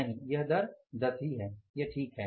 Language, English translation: Hindi, No, I think it is this rate is 10